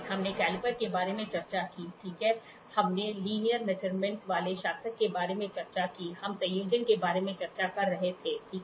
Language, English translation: Hindi, We discussed about caliper, right, we discussed about caliper, we discussed about linear measuring ruler, we were discussing about combination, ok